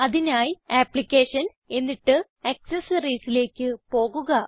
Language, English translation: Malayalam, For that go back to Applications then go to Accessories